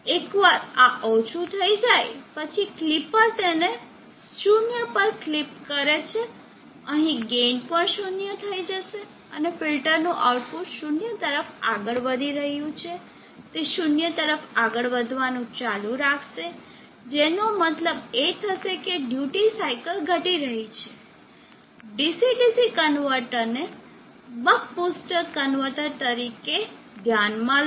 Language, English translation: Gujarati, So once this becomes low the clipper has clipped it 0, the gain here that would also be 0, and the output of the filter is moving towards 0, it will keep on moving towards 0, which means the duty cycle is decreasing